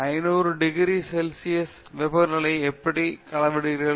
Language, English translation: Tamil, How do you measure a temperature of 500 degrees centigrade